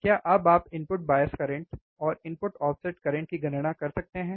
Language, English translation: Hindi, Can you now calculate input bias current and input offset current